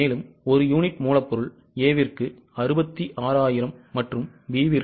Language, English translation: Tamil, So, A, units of raw material are 66,000 and B are 55,000